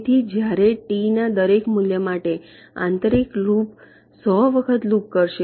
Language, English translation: Gujarati, so for every value of t the inner value will looping hundred times